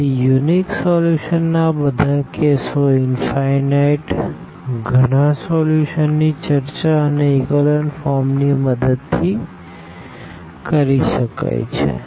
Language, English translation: Gujarati, So, all these cases of unique solution, infinitely many solution can be discussed with the help of this echelon form